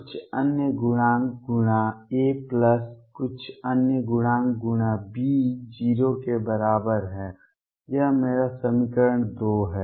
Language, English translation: Hindi, Some other coefficients times A plus some other coefficients times B is equal to 0; that is my equation 2